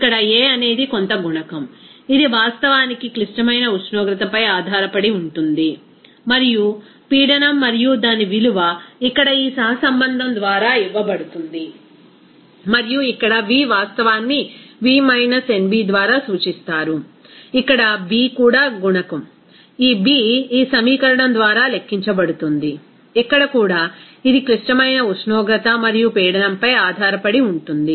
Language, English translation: Telugu, Here a is some coefficient, it actually depends on the critical temperature and pressure and its value is given here by this correlation and here V real that is denoted by V minus nb, here b is also coefficient, this b is calculated by this equation, here also it is depending on the critical temperature and pressure